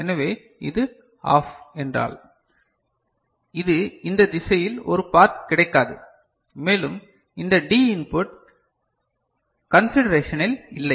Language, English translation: Tamil, So, if this is OFF means, this does not get a path in this direction so, and also this D input is not in consideration